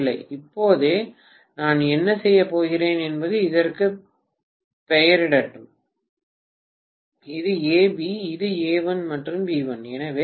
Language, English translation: Tamil, Right Now, what I am going to do is let me probably name this, this is A, B, this is A1 and B1